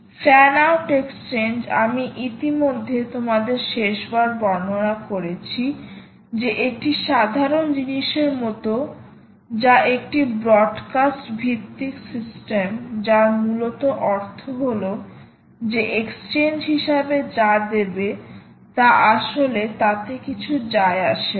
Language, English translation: Bengali, well, fan out, as i already described to you last time, is like a simple thing, which is a broadcast based system, which essentially means that it doesnt really matter what you give as an exchange